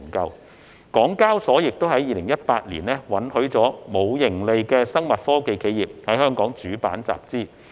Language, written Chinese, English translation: Cantonese, 香港交易所亦於2018年允許尚未有盈利的生物科技企業在主板集資。, In 2018 the Hong Kong Exchanges and Clearing Limited allowed pre - revenue biotechnology enterprises to raise fund through listing on the Main Board